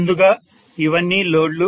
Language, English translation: Telugu, Before these are the loads